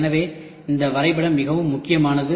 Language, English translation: Tamil, So, this diagram is very very important